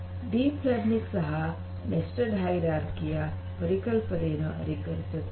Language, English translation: Kannada, So, deep learning also follows the concept of nested hierarchy